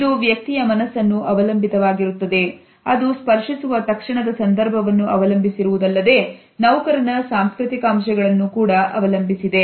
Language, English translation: Kannada, It depends on individual psyche it depends on the immediate context within which the touch is being offered and at the same time it also depends on the cultural conditioning of an employee